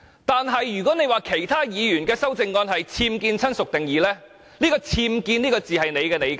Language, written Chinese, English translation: Cantonese, 可是，如果她認為其他議員的修正案是僭建"親屬"定義，那"僭建"這個字只是她的理解。, Yet if she considers the amendments of other Members have done so to the definition of relative it is her own interpretation of the term unauthorized structure